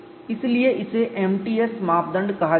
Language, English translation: Hindi, So, that is called as m t s criterion